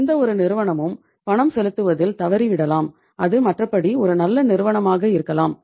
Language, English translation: Tamil, And when any company defaults in making the payment, maybe it is otherwise a good company